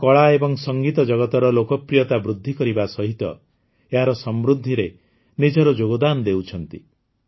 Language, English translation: Odia, These, along with the rising popularity of the art and music world are also contributing in their enrichment